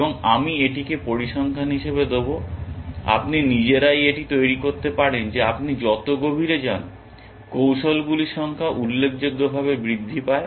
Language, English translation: Bengali, And I will just give this as figures, you can work this out yourselves that as you go deeper, the number of strategies increases considerably